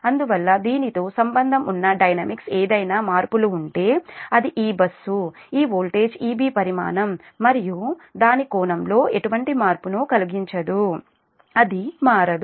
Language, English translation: Telugu, therefore dynamics associated with that, if any changes is there, it will not cause any change to this, this bus, this voltage e b magnitude and its angle, it will